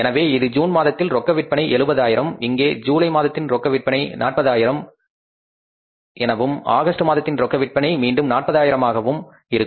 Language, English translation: Tamil, Here in the month of July the cash sales are going to be 40,000 and in the month of August the cash sales are going to be again 40,000